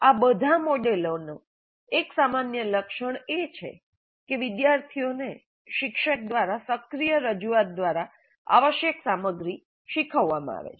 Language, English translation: Gujarati, One general attribute of all these models is that essential content is taught to students via an active presentation by the teacher